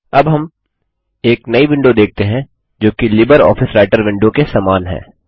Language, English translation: Hindi, We now see a new window which is similar to the LibreOffice Writer window